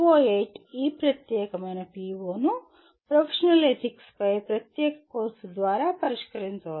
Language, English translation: Telugu, PO8 can be, this particular PO can be addressed through a dedicated course on professional ethics